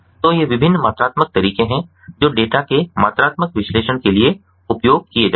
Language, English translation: Hindi, so these are the different quantitative methods that are used for quantitative analysis of data